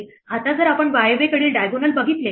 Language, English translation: Marathi, Now if we look at a diagonal from the north west